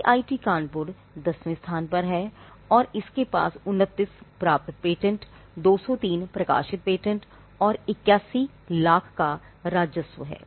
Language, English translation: Hindi, IIT Kanpur, which is ranked 10, has 29th granted patents, 203 published patents and their revenues in 81 lakhs